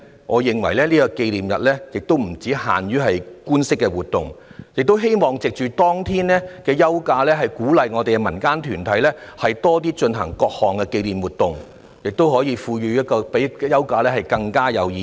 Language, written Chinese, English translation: Cantonese, 我認為紀念日不應只限於官式活動，也希望可以藉着當天的休假，鼓勵民間團體多舉辦各類型的紀念活動，從而賦予休假更深的意義。, In my opinion apart from organizing official activities on the Victory Day it is hoped that by providing a leave on that day community groups will be encouraged to organize different commemorative activities thereby enabling the leave to carry a more profound significance